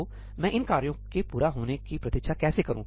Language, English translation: Hindi, So, I need to wait for these tasks to complete